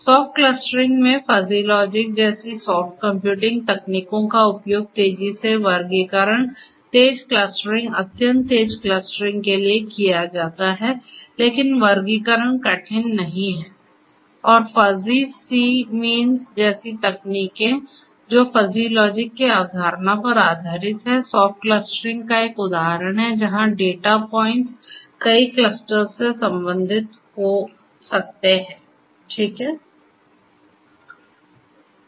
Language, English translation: Hindi, In soft clustering, soft computing techniques such as fuzzy logic are used in order to come up with faster classifications, faster clustering, extremely faster clustering, but the classification is not hard, the clustering is not hard and techniques such as fuzzy c means which is based on the concept of fuzzy logic is an example of soft clustering where the data points may belong to multiple clusters, right